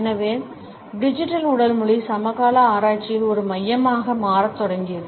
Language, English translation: Tamil, And therefore, Digital Body Language has started to become a focus in contemporary research